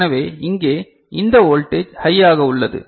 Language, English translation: Tamil, So, this voltage over here is high